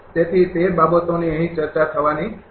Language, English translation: Gujarati, So, those things are not to be discussed here